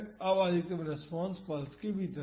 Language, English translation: Hindi, Now, the maximum response is within the pulse